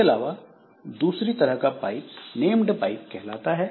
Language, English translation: Hindi, So, there can be another type of pipe which is called named pipes